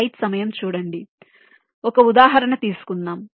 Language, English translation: Telugu, so lets take an example illustration